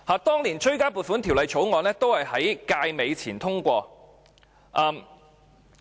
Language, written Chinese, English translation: Cantonese, 當年的追加撥款條例草案也在該屆結束前通過。, The supplementary appropriation Bill for that year was also passed before the end of the term